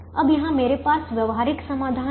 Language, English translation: Hindi, now here i have a feasible solution to the primal